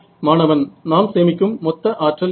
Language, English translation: Tamil, The total power what we conserve